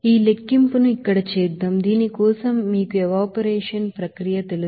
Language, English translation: Telugu, So let us do this calculation here for this you know evaporation process